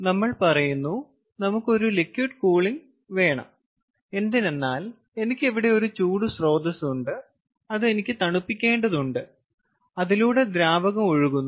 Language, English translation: Malayalam, let us say i want to have liquid cooling, i have a heat source over here which i need to cool and i have liquid flowing through it